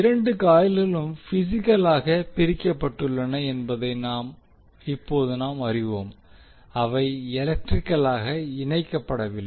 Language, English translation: Tamil, Now as we know that the two coils are physically separated means they are not electrically connected